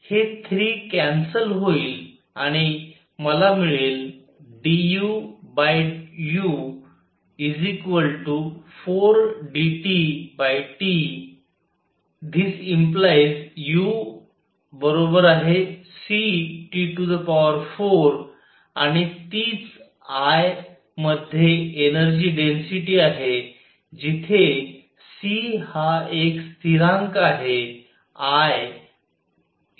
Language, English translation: Marathi, This 3 cancels and I get d u over u is equal to 4 d T by T implies u equals c T raise to 4 and that is energy density in I which is c is some constant, I is c by 4 u